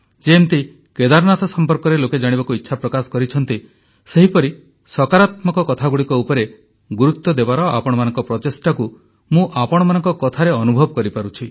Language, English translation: Odia, The way people have expressed their wish to know about Kedar, I feel a similar effort on your part to lay emphasis on positive things, which I get to know through your expressions